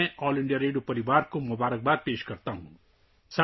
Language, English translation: Urdu, I congratulate the All India Radio family